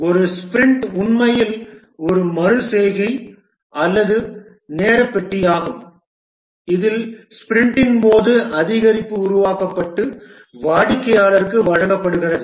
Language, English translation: Tamil, A sprint is actually an iteration or a time box in which an increment is developed during a sprint and is delivered to the customer